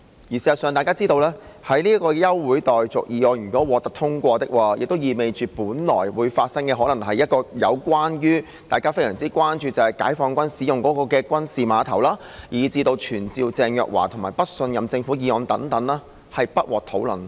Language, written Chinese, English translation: Cantonese, 事實上，大家也知道，如果這項休會待續議案獲得通過，意味着本來會討論的議項，包括大家非常關注的解放軍軍事碼頭，以至傳召鄭若驊及不信任政府的議案將不獲討論。, In fact we all know that if the motion for adjournment of the Council is passed it implies that the items of business scheduled for discussion including the military dock of the Peoples Liberation Army which is of great concern to Honourable colleagues the motion to summon Theresa CHENG and the motion of no confidence in the Government will not be discussed